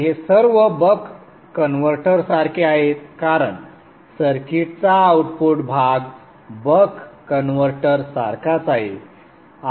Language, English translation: Marathi, So all these are just like the buck converter because the output portion of the circuit is exactly like the buck converter